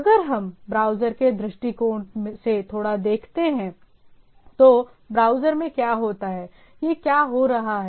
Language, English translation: Hindi, So, if we look at little bit on the browser point of view, so what at the browser end, what it is having